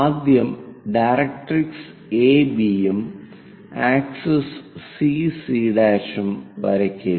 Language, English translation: Malayalam, The first thing, draw a directrix AB and axis CC prime